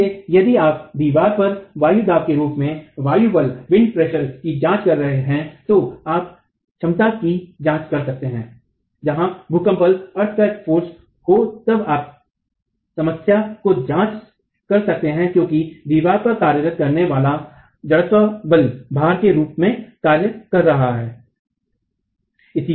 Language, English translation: Hindi, So if you are examining wind forces as wind pressure acting on the wall you could examine the capacity or where earthquake forces then you could examine the problem as the inertial force acting on the wall as the face loaded forces